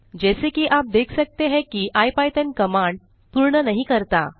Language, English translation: Hindi, As you can see that IPython does not complete the command